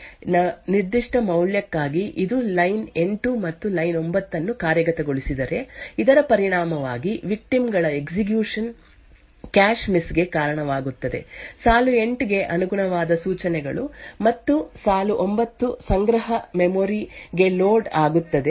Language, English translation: Kannada, And the victim has executed this particular for loop and for a particular value of E I which was set to 1, it has executed line 8 and line 9 so as a result, the victims execution would result in a cache miss, instructions corresponding to line 8 and line 9 would get loaded into the cache memory